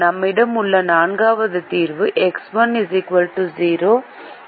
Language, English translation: Tamil, the fourth solution that we have is x one equal to zero, x two equal to eight